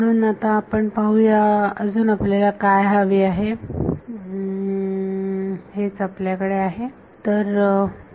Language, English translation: Marathi, So, let us see still need that is what we have